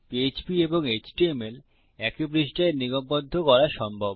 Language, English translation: Bengali, It is possible to incorporate Php and HTML on one page